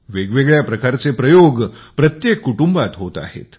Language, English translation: Marathi, All sorts of experiments are being carried out in every family